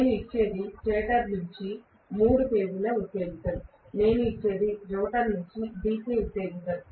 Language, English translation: Telugu, What I give is the excitation from the stator is three phase, what I give is the excitation from the rotor is DC